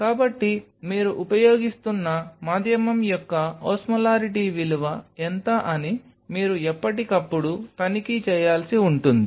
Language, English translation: Telugu, So, this is something which time to time you may need to check that what is the Osmolarity value of the medium what you are using